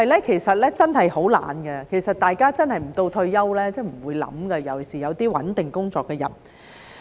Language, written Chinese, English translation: Cantonese, 其實人真的很懶，大家真的不到退休就不會想，尤其是有穩定工作的人。, In fact human beings are indeed lazy and people really do not think about it until they approach retirement especially people who have a stable job